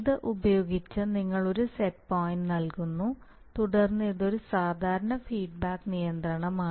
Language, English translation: Malayalam, So using this you are providing a set point and then it is an usual feedback control